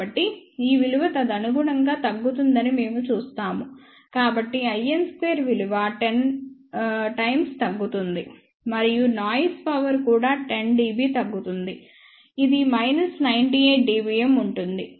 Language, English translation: Telugu, So, we will see that the value will decrease correspondingly, so i n square will decrease correspondingly by 10 times and that means, noise power will also decreased by about 10 dB which will be about minus 98 dBm